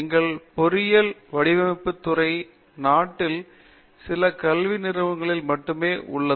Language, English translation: Tamil, We are a department of engineering design, which there are not many of such departments in the country